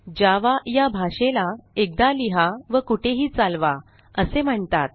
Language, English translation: Marathi, Hence, java is rightly described as write once, run anywhere